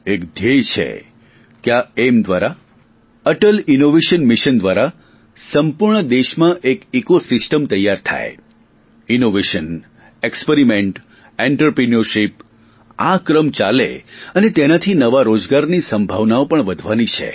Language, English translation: Gujarati, The purpose is to create an ecosystem in the entire country through the Atal Innovation Mission, to forge a vibrant chain of innovation, experiment and entrepreneurship, which would also enhance the possibilities of new employment generation